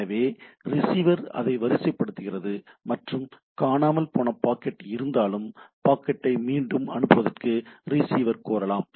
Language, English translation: Tamil, So, the receiver only sequence it, and if there is a missing packet, receiver can take appropriate mechanism, like receive can request for retransmission of the packet and so on so forth